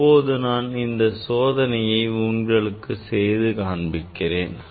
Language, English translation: Tamil, now, this experiment I will demonstrate in our laboratory